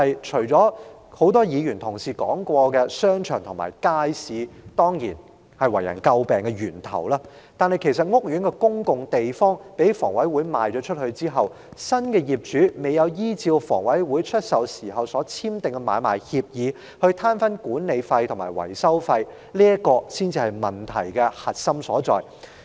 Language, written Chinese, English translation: Cantonese, 除了多位議員提及商場及街市為人詬病的問題外，屋苑公共地方被香港房屋委員會出售後，新業主未有依照房委會出售時所簽訂的買賣協議攤分管理費和維修費，這才是問題的核心所在。, Apart from the problems concerning shopping arcades and markets under criticism the crux of the problem lies in the sharing of management repair and maintenance costs of common areas of housing estates under the Hong Kong Housing Authority HA after divestment where new owners have failed to discharge the obligations specified in the Agreement for Sale and Purchase of Properties in bearing their shares of such payments